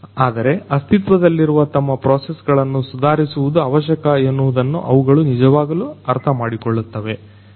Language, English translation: Kannada, But, they really understand that they need to improve their existing processes